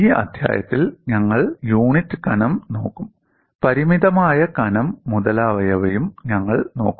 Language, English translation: Malayalam, In this chapter, we would look at for unit thickness; we would also look at for finite thickness and so on